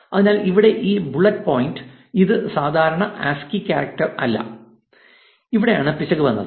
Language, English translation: Malayalam, So, this bullet point here this is not a standard ASCII character and this is where the error was coming